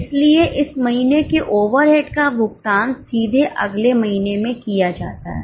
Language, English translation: Hindi, So, these months overrides are period just paid in the next month directly